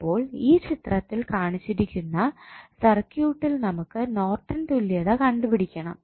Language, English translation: Malayalam, So, the circuit which is given in the figure we need to find out the Norton's equivalent of the circuit